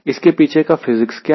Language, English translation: Hindi, what is the physics behind it